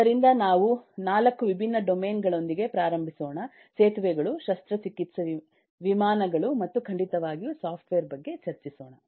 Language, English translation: Kannada, so we will start with, eh this: 4 different domains: the bridges, the surgery, aero planes and certainly software